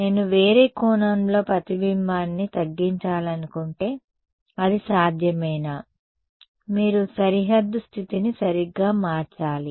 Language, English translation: Telugu, If I wanted to minimize the reflection at some other angle is it possible, you have to change the boundary condition right